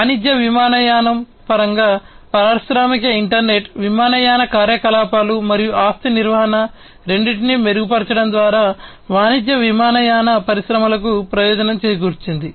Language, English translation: Telugu, In terms of commercial aviation, the industrial internet, has benefited the commercial aviation industries by improving both airline operations and asset management